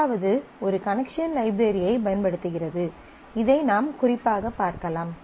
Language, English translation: Tamil, The first one is using a connection library and this is what I will specifically show you